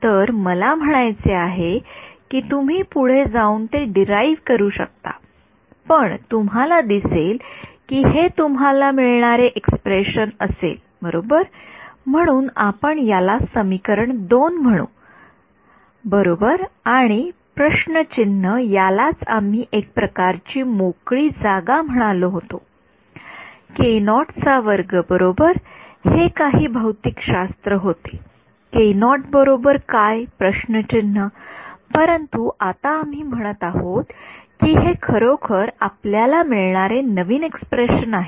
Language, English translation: Marathi, So, I mean you can go and derive it, but you can see this is the expression that you will get right so, this we will call this our equation 2 right and this omega by c whole squared is what we called the sort of free space k naught square right, this was some physics k naught k naught was omega by c, but now we are saying that oh this is actually, this is the new expression that we are getting